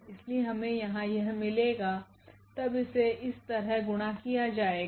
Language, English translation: Hindi, So, we will get here then this will be multiplied to this and so on